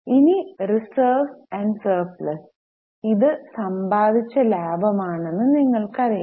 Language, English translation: Malayalam, Then reserves and surplus, you know this is accumulated profit